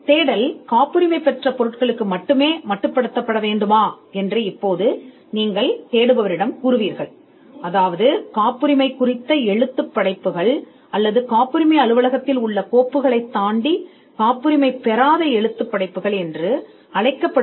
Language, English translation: Tamil, Now you would also say to the searcher whether the search should confine to only materials that are patents; that is, the patent literature, or whether it could also go beyond the files of the patent office, and which is what we call a non patent literature search